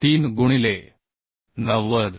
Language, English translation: Marathi, 3 into 2 90